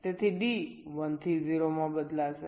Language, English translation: Gujarati, so d will change from one to zero